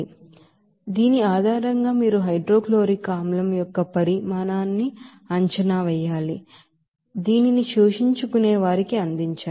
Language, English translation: Telugu, So based on this you know problem you have to estimate the volume of hydrochloric acid that must be fed to the absorber